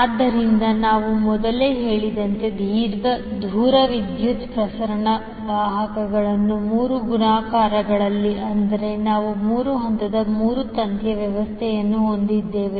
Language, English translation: Kannada, So as we mentioned earlier the long distance power transmission conductors in multiples of three, that is we have three phase three wire system so are used